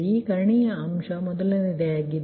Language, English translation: Kannada, this diagonal element, first one